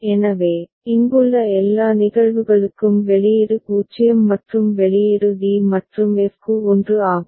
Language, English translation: Tamil, So, output is 0 for all the cases here right and output is 1 for d and f